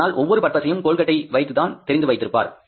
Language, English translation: Tamil, But every tooth face he knows in the name of Colgate